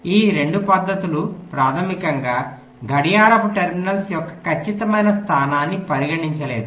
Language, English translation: Telugu, ok, these two methods basically did not consider the exact location of the clock terminals